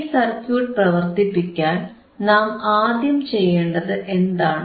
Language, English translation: Malayalam, So, if we want to implement this circuit, what is the first step